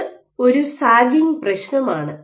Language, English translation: Malayalam, So, this is a sagging issue